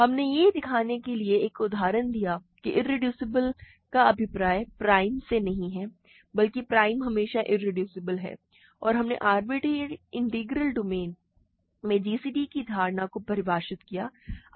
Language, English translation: Hindi, We have given an example to show that irreducible does not mean prime, but prime always implies irreducible and we have defined the notion of gcd in an arbitrary integral domain